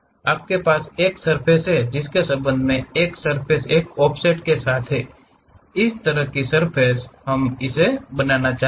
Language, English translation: Hindi, You have one surface with respect to that one surface with an offset, similar kind of surface we would like to construct it